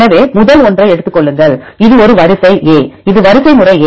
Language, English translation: Tamil, So, take the first one this is the sequence a; this is sequence a